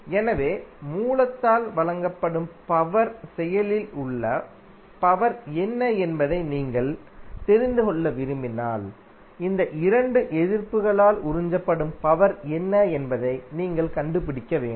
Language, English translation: Tamil, So, if you want to know that what the power active power being delivered by the source you have to simply find out what the power being absorbed by these two resistances